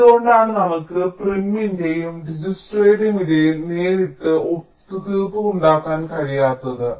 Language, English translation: Malayalam, so why cant we have a direct compromise between, or a tradeoff between, prims and dijkstra